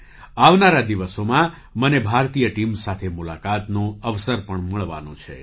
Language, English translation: Gujarati, In the coming days, I will also get an opportunity to meet the Indian team